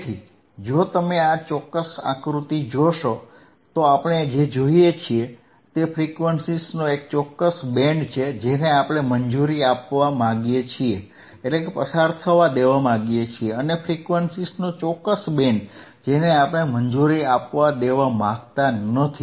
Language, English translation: Gujarati, So, if you see this particular figure, what we see is there is a certain band of frequencies that we want to allow and, certain band of frequencies that we do not want to allow